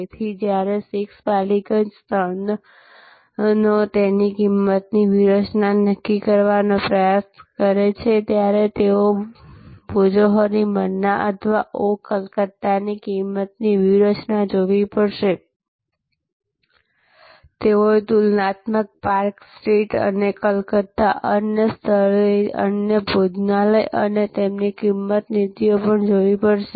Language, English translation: Gujarati, So, when 6 Ballygunge places trying to determine their pricing strategy, they have to look at the pricing strategy of Bhojohori Manna or of Oh Calcutta, they have to also look at the comparable, other restaurants at park street and other places in Calcutta and their pricing policies